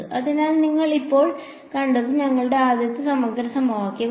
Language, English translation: Malayalam, So, what you have seen now is your very first integral equation